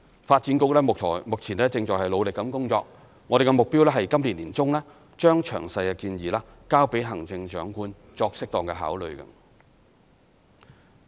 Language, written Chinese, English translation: Cantonese, 發展局目前正努力工作，我們的目標是今年年中將詳細建議交給行政長官作適當考慮。, The Development Bureau is now working hard on them and we aim to submit detailed proposals to the Chief Executive for due consideration by the middle of this year